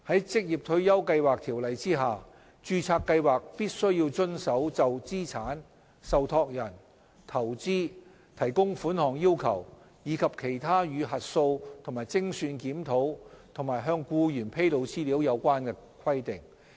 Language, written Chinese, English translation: Cantonese, 在《條例》下，註冊計劃必須遵守就資產、受託人、投資、提供款項要求，以及其他與核數及精算檢討及向僱員披露資料有關的規定。, Under the Ordinance registered schemes must comply with the statutory requirements in relation to assets trusteeship investment funding and other requirements related to audit and actuarial review and disclosure of information to employees